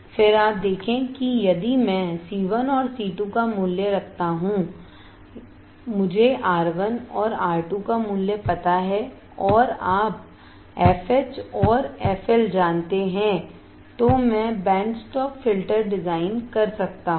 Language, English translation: Hindi, Then you see if I keep value of C 1 and C 2, I know now I can finally, of R 1 and R 2 and you know f H and f L the n I can design the band stop filter